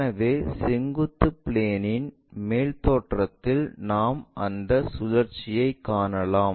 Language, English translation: Tamil, So, that in the vertical plane, ah top view we can see that rotation